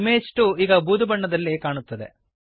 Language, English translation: Kannada, Image 2 is now displayed in greyscale